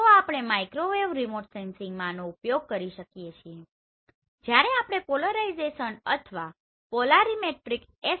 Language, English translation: Gujarati, So this is what we are going to use in Microwave Remote Sensing when we are talking about the polarization or Polarimetric SAR right